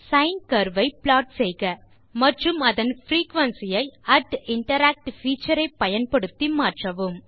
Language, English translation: Tamil, Plot the sine curve and vary its frequency using the @interact feature